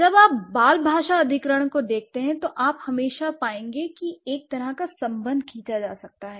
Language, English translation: Hindi, So, when you look at the, when you look at the child language acquisition, you will always find that this kind of, this kind of a relation can be drawn